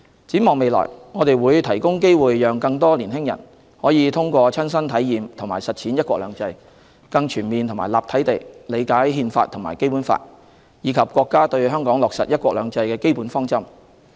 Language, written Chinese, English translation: Cantonese, 展望未來，我們會提供機會讓更多年輕人可以通過親身體驗和實踐"一國兩制"，更全面和立體地理解《憲法》和《基本法》，以及國家對香港落實"一國兩制"的基本方針。, Looking forward we will provide opportunities for more young people to experience and live out one country two systems first - hand and to comprehensively and concretely understand the Constitution the Basic Law and the Peoples Republic of Chinas implementation of the basic policy of one country two systems in Hong Kong